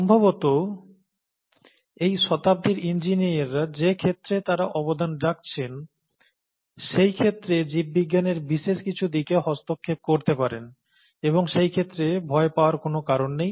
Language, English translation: Bengali, Most likely, engineers in this century may be interfacing with some aspect of biology in terms of the field that they’d be contributing to, and there’s no point in fearing that field and it's nothing to fear about